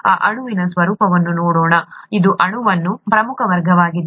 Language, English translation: Kannada, Let us look at the nature of this molecule, it is an important class of molecules